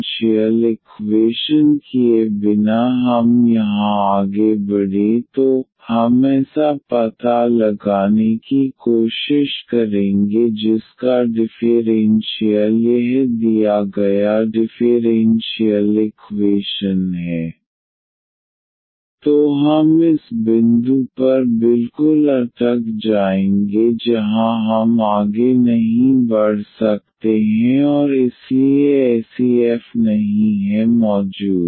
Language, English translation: Hindi, So, this was just to demonstrate that if by mistake without checking the exactness we proceed here we try to find such a f whose differential is this given differential equation then we will stuck exactly at this point where we cannot proceed further and hence such f does not exist